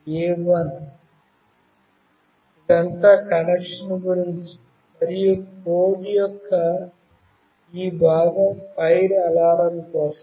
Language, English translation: Telugu, This is all about the connection and this part of the code is for the fire alarm